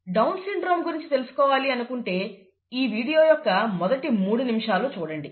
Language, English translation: Telugu, Down syndrome, I would suggest that you watch the first three minutes of this video